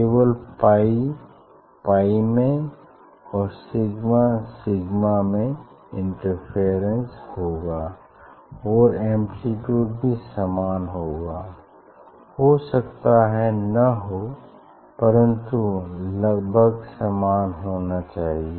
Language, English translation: Hindi, interference will happen only between pi or between sigma and amplitude must be nearly equal, as I told may not be equal, but it is a nearly should be nearly equal